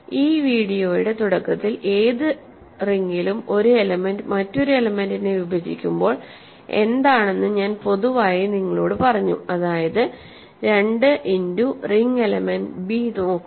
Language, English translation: Malayalam, At the beginning of this video, I told you in general in any ring when an element divides another element I mean that 2 times some ring element is b right, 2 times a ring element is b